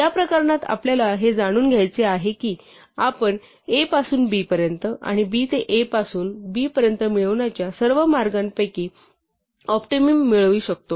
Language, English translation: Marathi, In this case, we want to know that a we can get from a to b, and b among all the ways we can get from a to b we want the optimum one